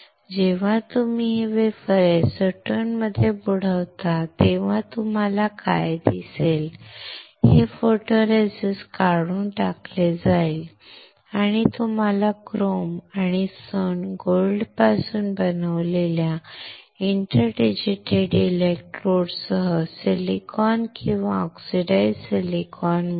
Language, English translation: Marathi, When you dip this wafer in acetone, what you will see is, this photoresist will get stripped and you will get a silicon or oxidized silicon with inter digitated electrodes made out of chrome and gold